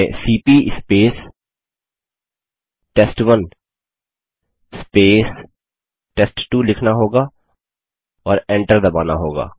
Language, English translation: Hindi, We will write cmp space sample1 space sample2 and press enter